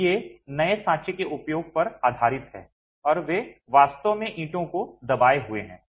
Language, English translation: Hindi, So, these are based on the use of moulds and they are actually pressed bricks